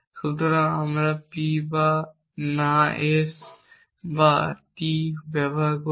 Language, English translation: Bengali, So, we use not P or not S or T and consider it with S